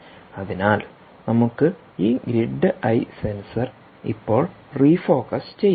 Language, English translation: Malayalam, so let us now refocus back on this grid eye sensor, ok, so